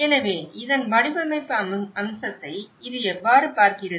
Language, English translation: Tamil, So, this is how this looks at the design aspect of it